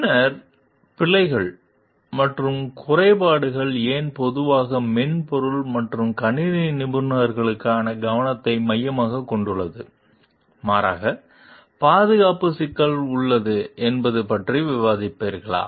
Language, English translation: Tamil, Then, will discuss also about why are bugs and glitches more commonly the focus of attention for software and computer professionals, rather than safety problems per se